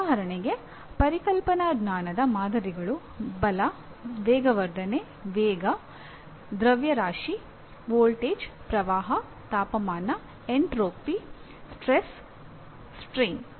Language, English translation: Kannada, For example samples of conceptual knowledge Force, acceleration, velocity, mass, voltage, current, temperature, entropy, stress, strain